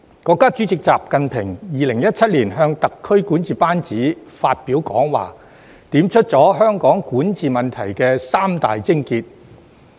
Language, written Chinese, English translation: Cantonese, 國家主席習近平在2017年向特區管治班子發表講話，點出了香港管治問題的三大癥結。, In his address to the SAR governing team in 2017 President XI Jinping identified three key points in relation to the governance problem of Hong Kong